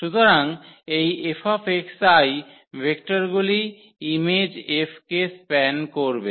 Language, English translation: Bengali, Therefore, these vectors F x i will span the image F